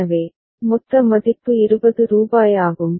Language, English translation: Tamil, So, total value is rupees 20